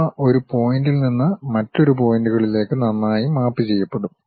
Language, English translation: Malayalam, They will be nicely mapped from one point to other point